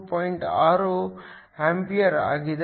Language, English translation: Kannada, 6 ampere per second